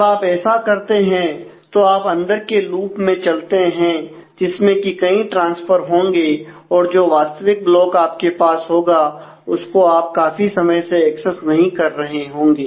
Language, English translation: Hindi, So, when you do this when you are going through the inner loop, there will be lot of transfers that will happen; and the original block where you have been holding this is here and you are not accessing that for quite some time